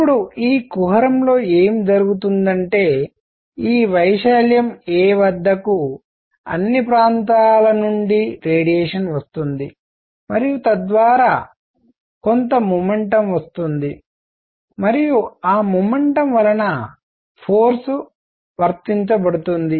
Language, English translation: Telugu, Now what is happening is that in this cavity; at this area a, radiation is coming from all over and it is bringing in some momentum and that momentum applies force